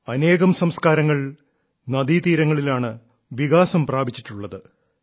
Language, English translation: Malayalam, Many civilizations have evolved along the banks of rivers